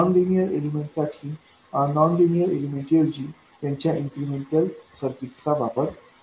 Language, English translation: Marathi, For nonlinear elements you replace the nonlinear element by its incremental equivalent circuit